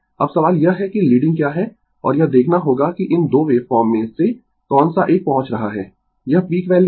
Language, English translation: Hindi, Now question is that what is leading, and you have to see that out of this 2 wave form which one is reaching it is peak value